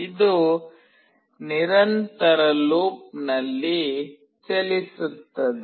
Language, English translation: Kannada, It goes in a continuous loop